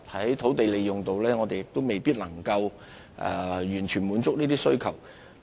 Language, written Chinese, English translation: Cantonese, 在土地利用方面，我們也未必能夠完全滿足這些需求。, In terms of land use we may not be able to fully satisfy the needs